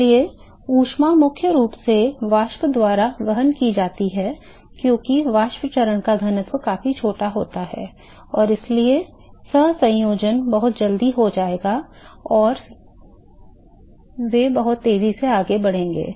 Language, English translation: Hindi, So, the heat is primarily carried by vapor because the density of the vapor phase is significantly smaller, and so the coalescence will occur very quickly and they also move very quickly